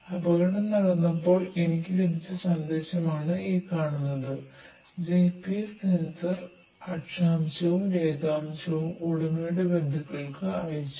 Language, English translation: Malayalam, This is the message I got when the accident happened and the GPS sensor sends the latitude and longitude to the owner’s relatives